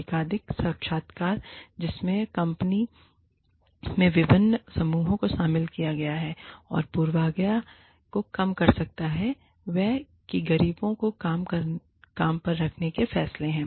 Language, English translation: Hindi, Multiple interviews, that involve diverse groups in the company, that can reduce bias is that, lead to poor hiring decisions